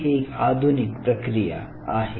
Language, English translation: Marathi, This is another modern technique